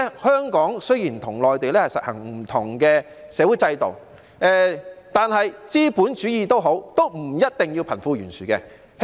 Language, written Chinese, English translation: Cantonese, 香港雖然與內地實行不同的社會制度，但資本主義不一定要貧富懸殊。, Though Hong Kong practises a social system different from that of the Mainland we as a capitalist society may not necessarily create wealth disparity